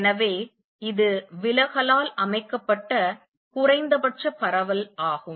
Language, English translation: Tamil, So, this is the minimum spread that is set by the diffraction